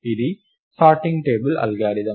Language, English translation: Telugu, Its a stable sorting algorithm